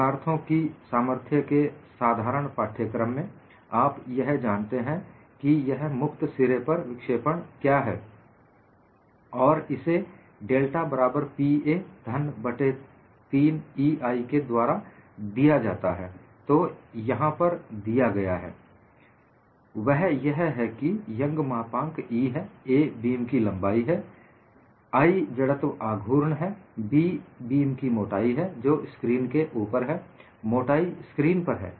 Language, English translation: Hindi, And from a simple course in strength of materials, you know what is deflection at the free end, and that is given as delta equal to Pa cube by 3EI; that is what is given here, where you have E is young's modulus; a is the length of the beam; I is moment of inertia; B is the thickness of the beam which is into the screen; the thickness is in the into the screen